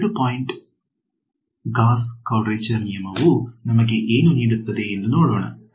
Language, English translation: Kannada, Let us see what a 2 point Gauss quadrature rule gives us